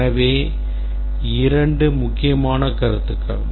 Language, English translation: Tamil, But there are two questions that arise now